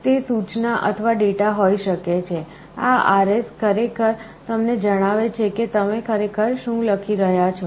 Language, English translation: Gujarati, It can be either instruction or data; this RS actually tells you what you are actually writing